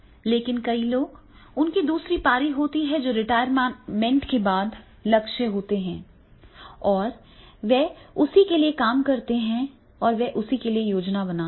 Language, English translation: Hindi, But many people, they have the second inning that is the goal after retirement and they are working for that and they plan for that